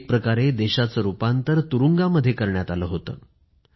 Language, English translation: Marathi, The country had virtually become a prison